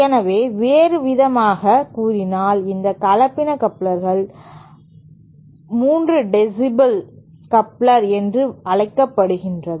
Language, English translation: Tamil, So, in other words, that is why this hybrid coupler is also known as the 3 dB coupler